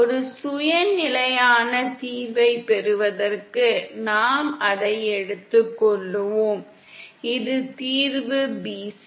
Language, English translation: Tamil, We shall take it in order to get a self consistent solution that is the solution should be valid at bc